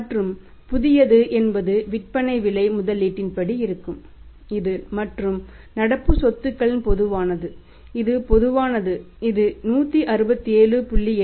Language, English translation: Tamil, And the new one will be as per the selling price investment is that is one is common in the other current assets it is common that is 160 7